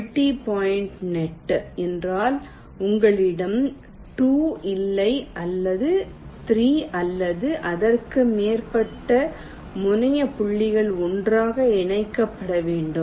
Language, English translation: Tamil, multi point net means you have not two but three or more terminal points which have to be connected together